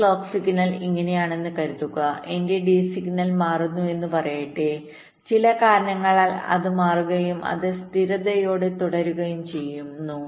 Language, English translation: Malayalam, so when the clock becomes zero, like what i am saying, is that suppose my clock signal is like this and lets say, my d signal changes, because of some reason it changes and it remains stable like that